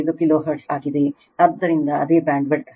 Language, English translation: Kannada, 5 say kilohertz right, so bandwidth